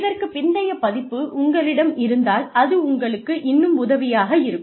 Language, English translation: Tamil, If you have a later edition, that will also be helpful